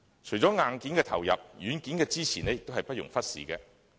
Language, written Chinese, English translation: Cantonese, 除了硬件的投入，軟件的支持也不容忽視。, Besides hardware input software support cannot be overlooked either